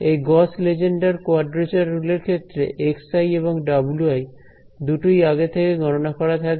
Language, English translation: Bengali, So, in the case of these Gauss Lengedre quadrature rules both the x i's and the w i’s these are pre computed